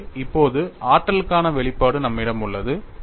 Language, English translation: Tamil, So, now, we have the expression for energy